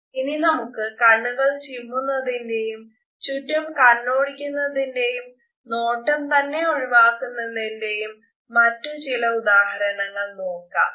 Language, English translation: Malayalam, Let us look at some other examples of darting eyes, stammering eyes or even the gaze avoidance